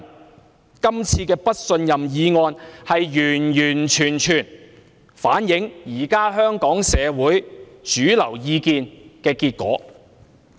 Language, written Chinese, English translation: Cantonese, 這次"對行政長官投不信任票"的議案，完完全全反映香港社會當前的主流意見的結果。, The present motion on Vote of no confidence in the Chief Executive is a result which fully reflects the mainstream opinion of Hong Kong society